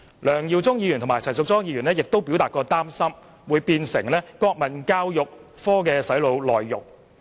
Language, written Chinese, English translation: Cantonese, 梁耀忠議員和陳淑莊議員則擔心中史科會變成國民教育科的"洗腦"內容。, Mr LEUNG Yiu - chung and Ms Tanya CHAN are worried that Chinese History would have the brainwashing contents of the National Education subject